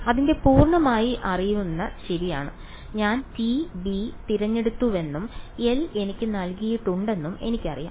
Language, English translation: Malayalam, Its fully known right, I know I I chose t b and L is given to me